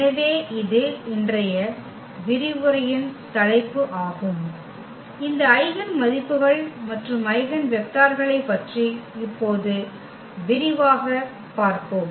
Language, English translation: Tamil, So, that is the topic of today’s lecture and we will go little more into the detail now about these eigenvalues and eigenvectors